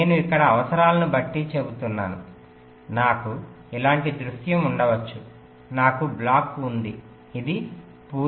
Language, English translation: Telugu, here i am saying, depending on the requirements, like i may have a scenario like this, that i have a block, this is, this is a full custom